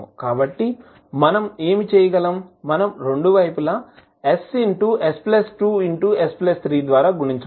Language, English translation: Telugu, So, what we can do, we can multiply both sides by s into s plus 2 into s plus 3